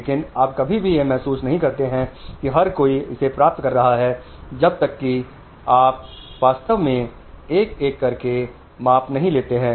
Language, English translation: Hindi, It is suddenly, so you never realize that everybody is getting it unless you really measure one by one